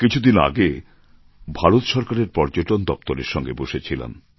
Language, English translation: Bengali, I was in a meeting with the Tourism Department recently